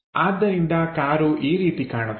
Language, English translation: Kannada, So, the car goes in that way